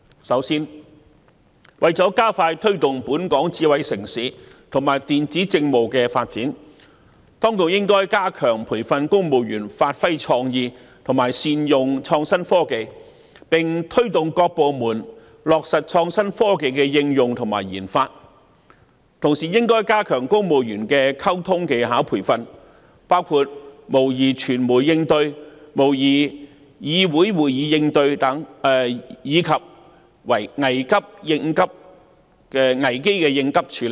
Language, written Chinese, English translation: Cantonese, 首先，為了加快推動本港成為智慧城市，以及電子政務的發展，當局應該加強培訓公務員發揮創意，以及善用創新科技，並推動各部門落實創新科技的應用和研發；同時，應加強公務員的溝通技巧培訓，包括模擬傳媒應對、模擬議會會議應對，以及危機應急處理等。, First to expedite the development of Hong Kong into a smart city and electronic government services the Administration should strengthen training of civil servants to develop their creative thinking and better use innovative technology . The Administration should also promote the application and research and development of innovative technology in various government departments and strengthen communication skill training of civil servants including response training through mock - ups of media sessions and Council meetings as well as crisis contingency management